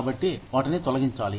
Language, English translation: Telugu, So, they have to be laid off